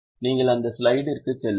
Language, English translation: Tamil, We'll just go to that slide